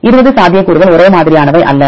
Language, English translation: Tamil, We have 20 possibilities not the same one